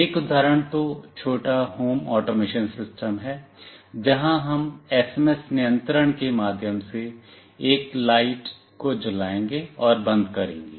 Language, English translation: Hindi, One is a small home automation system, where we will switch ON and OFF a light through SMS control